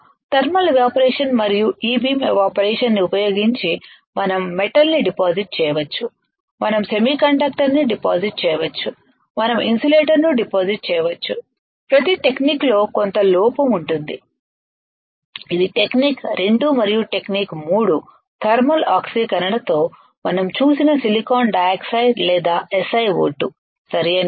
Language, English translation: Telugu, Using thermal evaporation and E beam evaporation, we can deposit metal, we can deposit semiconductor, we can deposit insulator there is some drawback of each technique of each technique that is technique 2 and technique 3 that we have seen with thermal oxidation we can grow silicon dioxide or SiO2 right